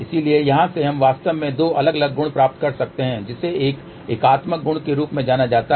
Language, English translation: Hindi, So, from here we can actually get two different properties one is known as a unitary property, another one is known as orthogonal property